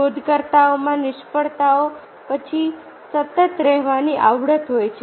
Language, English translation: Gujarati, inventors have a knack for persisting after failures